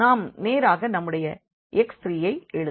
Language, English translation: Tamil, So, we will get simply here x 2